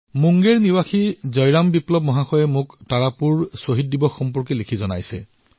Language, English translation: Assamese, Jai Ram Viplava, a resident of Munger has written to me about the Tarapur Martyr day